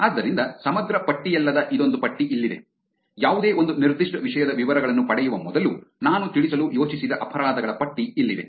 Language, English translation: Kannada, So here is a list of not a comprehensive list, here is a list of crimes that I thought I will cover before getting into details of any one particular topic